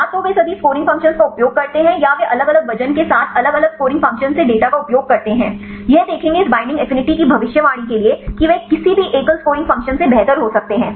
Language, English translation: Hindi, Either they use all the scoring functions or they use the data from different scoring functions with different weightage right this will see there can be any they better than any single scoring function for predicting this binding affinity